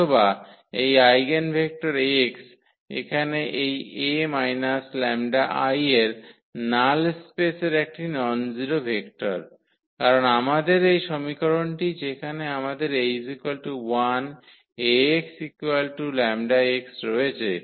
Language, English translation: Bengali, Or, this eigenvector x here is a nonzero vector in the null space of this A minus lambda I, because this equation which we have a is equal to l Ax is equal to lambda x